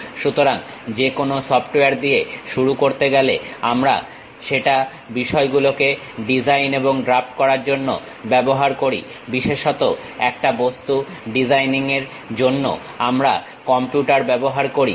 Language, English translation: Bengali, So, to begin with any software, we use that to design and draft the things especially we use computers to use in designing objects that kind of process what we call computer aided design